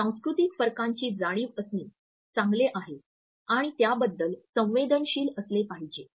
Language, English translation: Marathi, While it is good to be aware of the cultural differences which exist and one should be sensitive to them